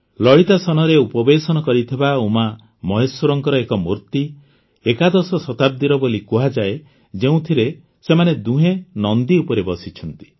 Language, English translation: Odia, An idol of UmaMaheshwara in Lalitasan is said to be of the 11th century, in which both of them are seated on Nandi